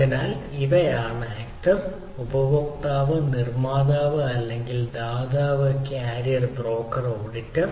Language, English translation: Malayalam, so these are the actors: consumer, producer or the provider, carrier, broker and auditor